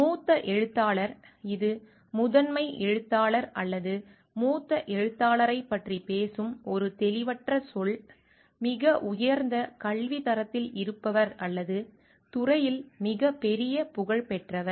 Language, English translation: Tamil, Senior author; it is an ambiguous term which talks of did sometimes talks of the lead author or the senior most author; who is in the highest academic rank or of the greatest reputation in the field